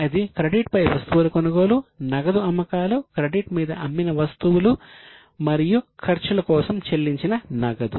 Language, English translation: Telugu, Purchase of goods on credit, cash sales, goods sold on credit and paid cash for expenses